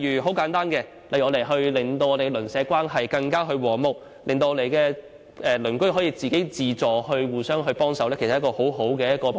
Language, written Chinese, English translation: Cantonese, 很簡單，例如我們希望令鄰舍關係更和睦，鄰居可以自發互相幫忙，這其實是一個很好的目標。, In simple terms it could be our hope to promote harmonious neighbourhood relations such that neighbours will help each other voluntarily and this is a very desirable objective